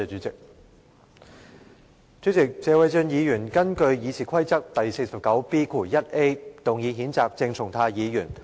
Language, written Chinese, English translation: Cantonese, 主席，謝偉俊議員根據《議事規則》第 49B 條動議譴責鄭松泰議員。, President Mr Paul TSE has moved a motion to censure Dr CHENG Chung - tai under Rule 49B1A of the Rules of Procedure